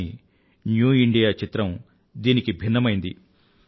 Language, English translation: Telugu, But, the picture of New India is altogether different